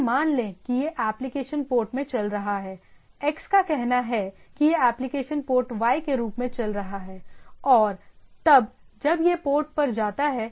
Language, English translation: Hindi, So, this is suppose this application is running at port say x this application is running as port y, and then when it goes it goes to the port